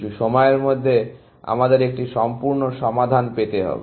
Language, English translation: Bengali, At some point, we will get a complete solution